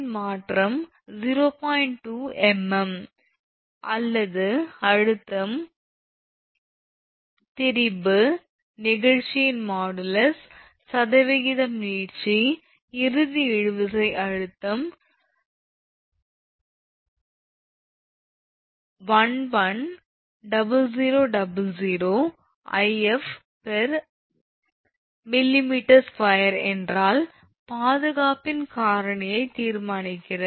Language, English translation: Tamil, 2 millimeter calculate number 1, stress, b – the strain, c – modulus of elasticity, d – percent elongation, e – If ultimate tensile stress is 11 your what you call 110000 Newton per millimeter square, determine the factor of safety